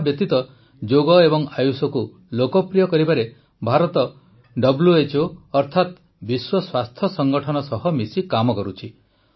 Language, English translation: Odia, Apart from this, India is working closely with WHO or World Health Organization to popularize Yoga and AYUSH